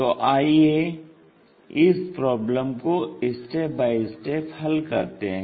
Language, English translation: Hindi, So, let us solve that problem step by step